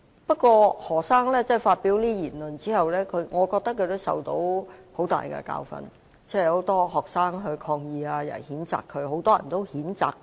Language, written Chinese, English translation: Cantonese, 不過，何先生發表這些言論後，我認為他已受到很大教訓，很多學生抗議，也有很多人也譴責他。, Meanwhile I think Dr HO has already learnt a lesson after having made such remarks . A lot of pupils have staged protest and a lot of people have condemned him